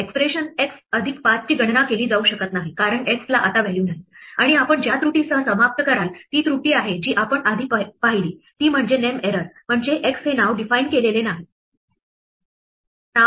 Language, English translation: Marathi, Now this point since x has been undefined even though it had a value of 7 this expression x plus 5 cannot be calculated because x no longer has a value, and what you will end up with is error that we saw before namely a name error saying that the name x is not defined